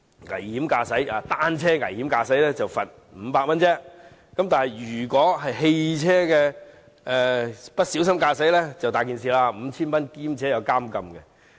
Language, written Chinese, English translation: Cantonese, 危險駕駛單車，只罰500元；不小心駕駛汽車便很麻煩了，會被判罰 5,000 元及被監禁。, Reckless cycling incurs a fine of just 500 while careless driving means real troubles and the offender is liable to a fine of 5,000 and imprisonment